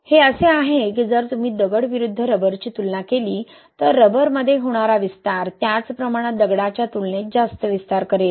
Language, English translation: Marathi, It is like, if you compare a stone versus rubber, same amount of expansion happening in rubber will cause greater expansion, right, compared to stone